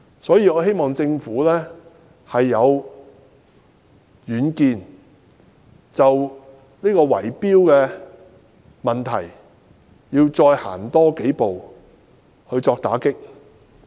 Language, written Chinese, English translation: Cantonese, 所以，我希望政府能有遠見，就圍標問題要再多走幾步，以作打擊。, Therefore I hope that the Government can be visionary and take a few steps forward in cracking down on bid - rigging